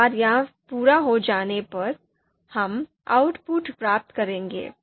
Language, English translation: Hindi, So once this is done, we will get the output